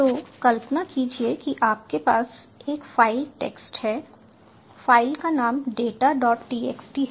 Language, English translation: Hindi, so imagine you have a file text file named data, data dot txt